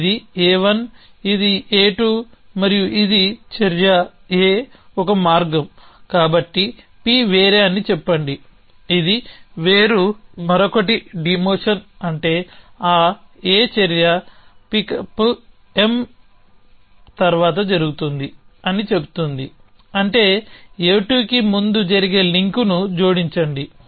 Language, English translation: Telugu, So, this is A 1 this is A 2 and this is action A one way so say that p is different which is separation the other 1 is demotion which says that that action A happen after this pickup M which means add the link A 2 happening before A